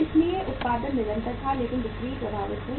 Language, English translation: Hindi, So production was continuous but the sales were affected